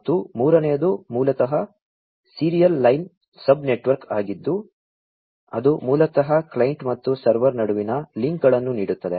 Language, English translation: Kannada, And, the third one is basically the serial line sub network that basically grants the links between the client and the server